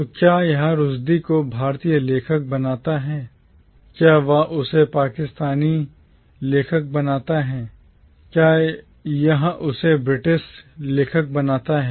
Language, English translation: Hindi, So does this make Rushdie an Indian author, does it make him a Pakistani author, does it make him a British author